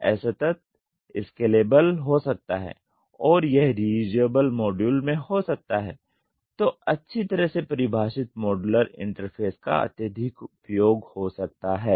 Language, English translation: Hindi, It can be discrete, scalable and it can be in the reusable modules; rigorous use of well defined modular interface making use of industrial standards for interface